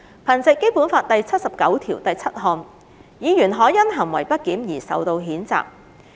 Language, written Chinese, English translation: Cantonese, 憑藉《基本法》第七十九條第七項，議員可因行為不檢而受到譴責。, By virtue of Article 797 of the Basic Law a Member may be censured for misbehaviour